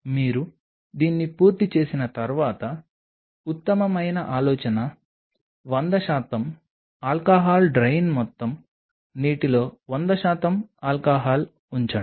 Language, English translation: Telugu, Once you have done this then the best idea is put 100 percent alcohol drain the whole water put 100 percent alcohol in it